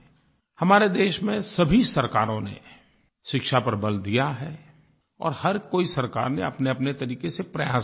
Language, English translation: Hindi, Every Government in our country has laid stress on education and every Government has made efforts for it in its own way